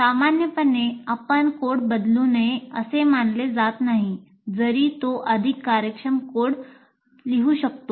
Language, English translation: Marathi, You generally you are not you are not supposed to change the code even if it is you produce a more efficient code